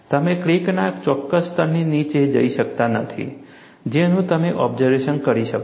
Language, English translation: Gujarati, You cannot go below a certain level of the crack that you can inspect